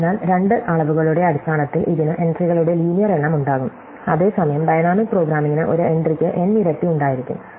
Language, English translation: Malayalam, So, it will have linear number of entries in terms of the two dimensions, whereas dynamic programming will have m times n entries